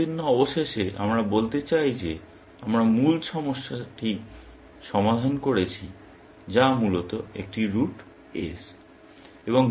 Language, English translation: Bengali, As long as, and eventually, we want to say that we have solved the original problem, which is a root S, essentially